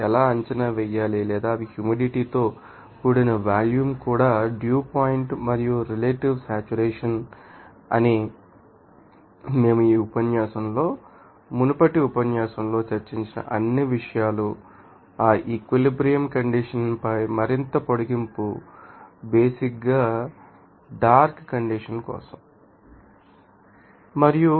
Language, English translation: Telugu, How to you know how to actually estimate or you can see find out they are humid volume even you know dew point and also relative saturation all those things we have discussed in the previous lecture in this lecture, you know the further extension on that equilibrium condition basically for dark you know condensation